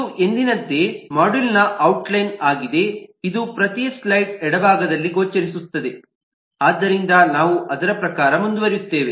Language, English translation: Kannada, as usual, this will be visible on the left hand side of every slide, so we will proceed according to that